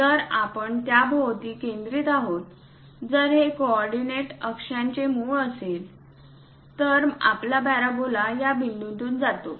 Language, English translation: Marathi, If we are focusing centred around that, if this is the origin of the coordinate axis; then our parabola pass through this point